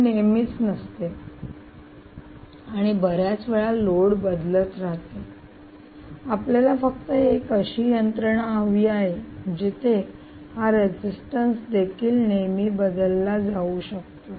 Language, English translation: Marathi, since this is not always the case and the load continues to be changing all the time, you only need a mechanism where this resistance can also be altered at all times, right